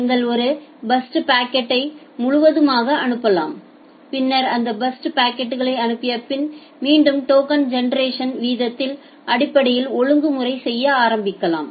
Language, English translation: Tamil, You can send a burst of packets altogether and then again can say after sending these burst of packets you can start doing the regulation, based on the token generation rate